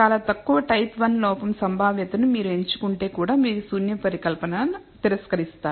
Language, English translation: Telugu, Very low type one error probability if you choose also you will reject the null hypothesis